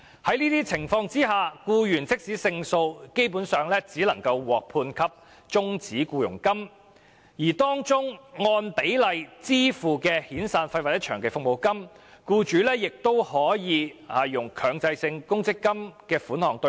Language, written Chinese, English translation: Cantonese, 在這些情況下，即使僱員勝訴，基本上亦只能獲判終止僱傭金，而當中按比例支付的遣散費或長期服務金，僱主則可利用強制性公積金的供款"對沖"。, In this situation even if the employee wins the case he will usually only be awarded with terminal payments among which the severance payment or long service payment payable on a pro rata basis may be offset by the employers contributions made to a Mandatory Provident Fund scheme